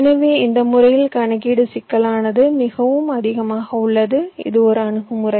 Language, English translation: Tamil, so the computation complexity is pretty high in this method